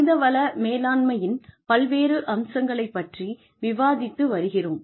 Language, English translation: Tamil, We have been discussing, various aspects of human resources management